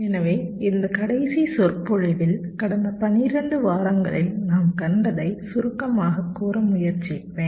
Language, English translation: Tamil, so here in this last lecture i will try to summarize whatever we have seen over the last twelfth weeks